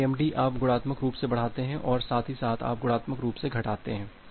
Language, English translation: Hindi, MIMD is you increase multiplicatively as well as you decrease multiplicatively